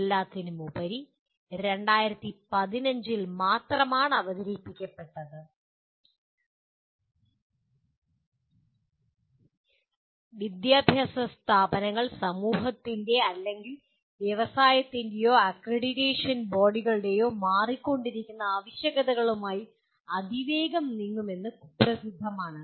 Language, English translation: Malayalam, After all, it was only introduced in 2015 and educational institutions are generally notorious in terms of moving with the fast changing requirements of the either society or with of the industry or accreditation bodies